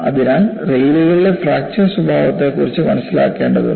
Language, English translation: Malayalam, So, the rails have to be understood for its fracture behavior